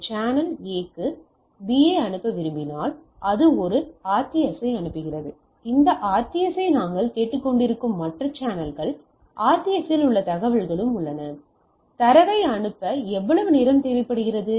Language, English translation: Tamil, So, let me repeat it when a channel wants to A wants to send to B it sends a RTS, the other channels we are listening to this RTS, the RTS also contains the information, how much time it required to sends the data